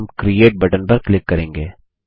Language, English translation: Hindi, And we will click on the Create button